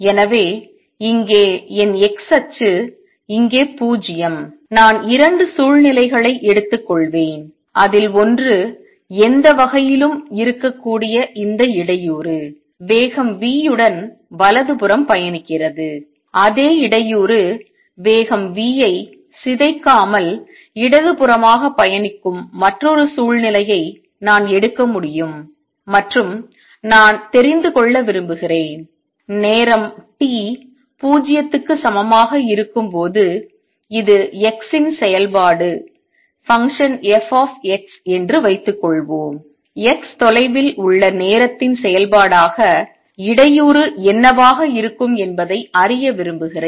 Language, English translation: Tamil, So, here is my x axis here is 0, I will take 2 situations in one in which this disturbance which could be any kind is traveling to the right with speed v, I can take another situation in which the same disturbance travels to the left with speed v without getting distorted and I want to know, suppose this is function f of x at time t equals 0, I want to know what would the disturbance be as a function of time at a distance x